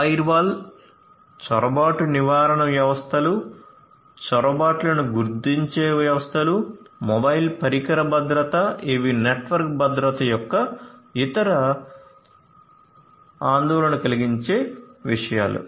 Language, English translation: Telugu, Firewalls, intrusion prevention systems, intrusion detection systems, mobile device security, these are also other concerns of network security